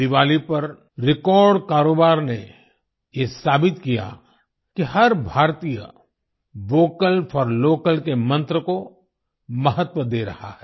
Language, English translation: Hindi, The record business on Diwali proved that every Indian is giving importance to the mantra of 'Vocal For Local'